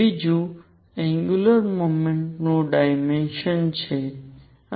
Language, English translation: Gujarati, The second one is the dimension of angular momentum